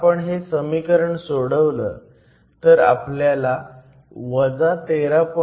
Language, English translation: Marathi, If you solve this to get a value of minus 13